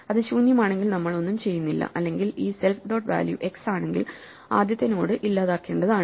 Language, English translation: Malayalam, If it is empty we do nothing; otherwise if this self dot value is x the first node is to be deleted